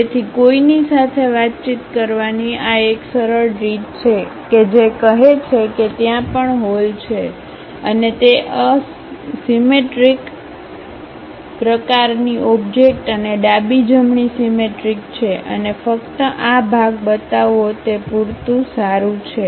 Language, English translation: Gujarati, So, it is a easy way of communicating with anyone saying that there also hole and it is a symmetric kind of object and left right symmetry you have and just showing this part is good enough